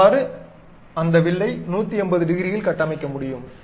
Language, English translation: Tamil, So, I can construct that arc in that complete 180 degrees